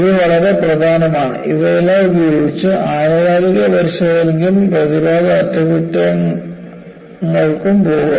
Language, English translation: Malayalam, This is very important; with all this, go for periodic inspection and preventive maintenance